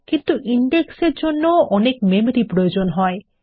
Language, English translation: Bengali, But indexes also can take up a lot of memory